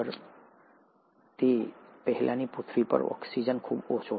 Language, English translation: Gujarati, You find that the earlier earth had very low oxygen